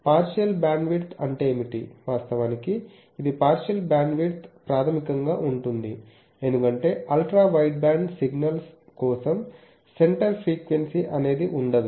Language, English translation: Telugu, What is meant by fractional bandwidth actually this is the new thing that fractional bandwidth is basically, because for Ultra wideband signals, there is no question of center frequency